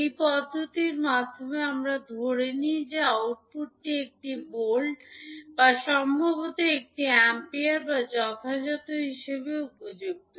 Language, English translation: Bengali, In this approach we assume that output is one volt or maybe one ampere or as appropriate